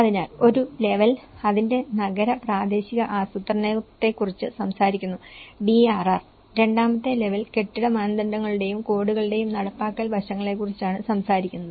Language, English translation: Malayalam, So, which is one level is talking about the urban and regional planning of it the DRR and the second level is talking about the implementation aspects of building standards and codes